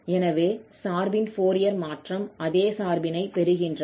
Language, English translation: Tamil, So, the Fourier transform of this function is exactly the same function